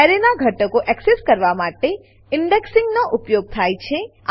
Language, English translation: Gujarati, Indexing is used to access elements of an array